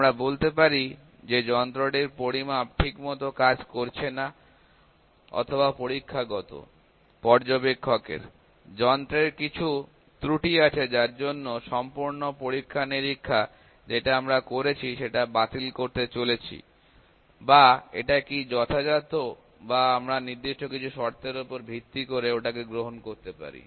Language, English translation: Bengali, You can say that the measurement or the instrument is not working properly or there is some error on the part of experimental, observer, instrument because of which the, we are going to reject the overall experimentation that we have done or is it significant or we can accept that as well based on certain criteria